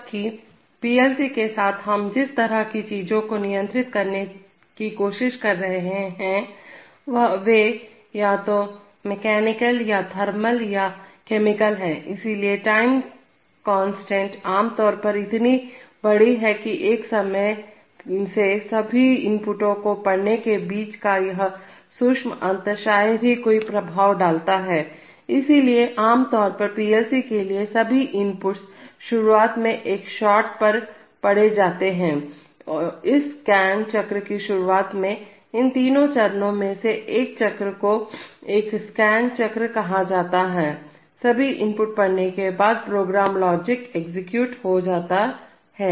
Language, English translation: Hindi, While, with PLCs the kind of things that we are trying to control are either mechanical or thermal or chemical, so the time constants are usually so large that this subtle difference between reading all the inputs at one time makes hardly any effect, so therefore typically for PLCs all inputs are read at one shot in the beginning, at the beginning of this scan cycle, one cycle of these three steps would be called a scan cycle, after all inputs are read the program logic gets executed